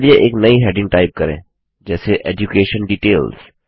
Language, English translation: Hindi, Lets type a new heading as EDUCATION DETAILS